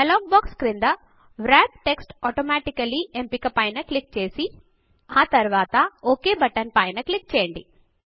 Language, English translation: Telugu, At the bottom of the dialog box click on the Wrap text automatically option and then click on the OK button